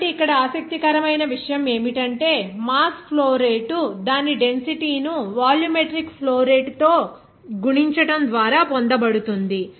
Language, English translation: Telugu, So, in this case here interesting is that the mass flow rate is obtained by multiplying its density by the volumetric flow rate